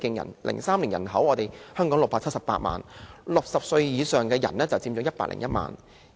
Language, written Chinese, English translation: Cantonese, 2003年，香港有678萬人口 ，60 歲以上的人佔101萬人。, In 2003 the population of Hong Kong was 6.78 million of which those aged 60 and above made up 1.01 million